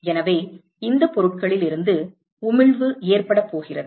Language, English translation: Tamil, So, there is emission that is going to occur from these objects